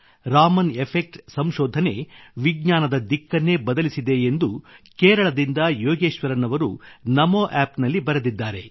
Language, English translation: Kannada, Yogeshwaran ji from Kerala has written on NamoApp that the discovery of Raman Effect had changed the direction of science in its entirety